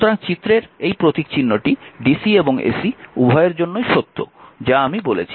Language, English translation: Bengali, So, this symbol this figure one is a true for both dc and ac I have told you right